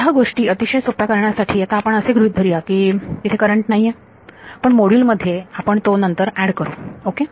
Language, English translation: Marathi, To keep matters simple for now we will just we will assume that there is no current, but we will add it in later in the module ok